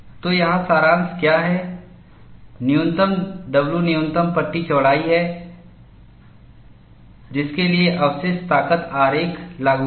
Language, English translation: Hindi, So, what, summary here is, W minimum is the minimum panel width for which, the residual strength diagram is applicable